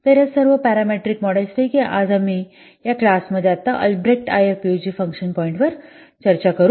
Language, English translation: Marathi, So out of all those parametric models today we'll discuss right now in this class Albreast IF IF PUG function point